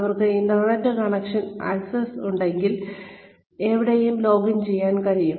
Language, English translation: Malayalam, They can login wherever, if they have access to an internet connection